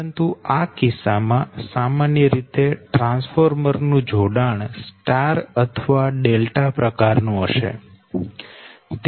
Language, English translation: Gujarati, but in this case generally, generally transformer, you have star or delta, right